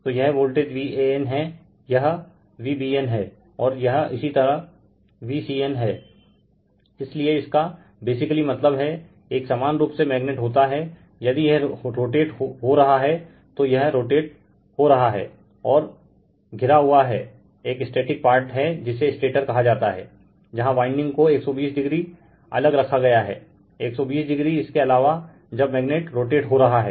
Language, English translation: Hindi, So, this is voltage V a n, this is V b n, and this is your V c n right so that means, basically what a your you have you have a magnet if it is rotating it is rotating, and is surrounded by a static part that is called stator, where windings are placed 120 degree apart right, 120 degree apart as the magnet is rotating right